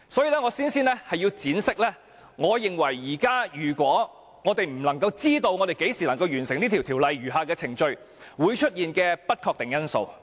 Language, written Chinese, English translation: Cantonese, 所以，我先要闡釋，我認為如果現時無法知道何時能夠完成此條例的餘下程序，會出現的不確定因素。, Hence I have to elaborate my views about the uncertain factors possibly arising when the timing for completing the remaining procedures of the Bill is not made known at present